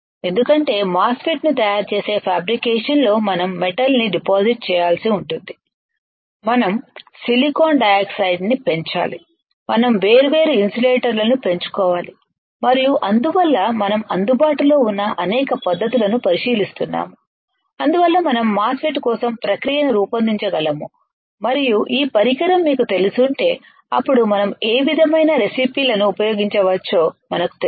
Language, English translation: Telugu, Because at certain point in fabrication fabricating MOSFET we will we have to deposit metal we have to grow silicon dioxide we have to grow different insulators and that is why we are looking at several techniques that are available that we can design the process for MOSFET and if you know this equipment then we know what kind of recipes we can use it alright